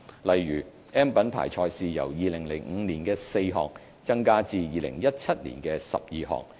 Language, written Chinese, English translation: Cantonese, 例如 ，"M" 品牌賽事由2005年的4項增加至2017年的12項。, For example the number of M Mark events has increased from 4 in 2005 to 12 in 2017